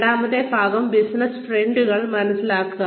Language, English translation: Malayalam, The second part is, understand the business trends